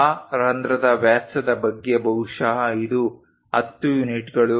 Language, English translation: Kannada, Something about diameter of that hole perhaps this one is that 10 units